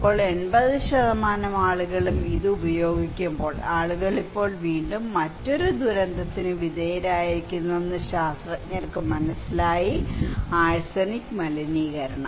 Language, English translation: Malayalam, Now, when the 80% people using this one then the scientists realised that the people now again exposed to another disaster, another risk that is arsenic contamination